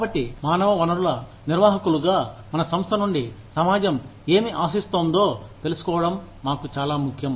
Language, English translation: Telugu, So, as human resources managers, it is very important for us, to know, what the society expects, from our organization